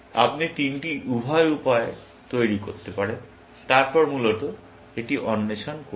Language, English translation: Bengali, You can construct the three both ways and then, explore that, essentially